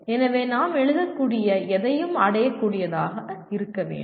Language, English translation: Tamil, So it should be anything that we write should be achievable